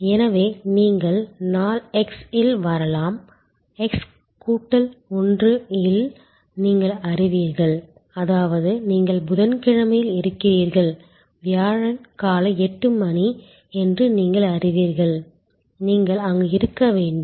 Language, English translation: Tamil, So, you may arrive at day x, you will know that in x plus 1; that means, you are on Wednesday, you will know that Thursday morning 8 AM will be the time and you should be there